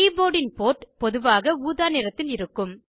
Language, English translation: Tamil, The port for the keyboard is usually purple in colour